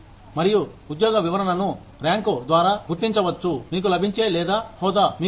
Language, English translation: Telugu, And, the job description could be identified, by the rank, that you get, or the designation, you have